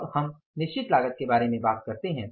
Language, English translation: Hindi, Now you talk about the fixed cost